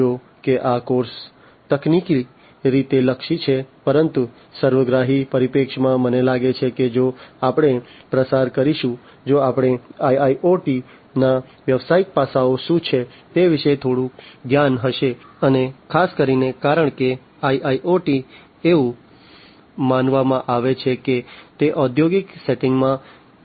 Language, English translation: Gujarati, Although this course is technically oriented, but from a holistic perspective, I think the understanding will be clearer, if we go through, if we have little bit of knowledge about what are the business aspects of IIoT, and particularly because IIoT is supposed to be used in the industrial settings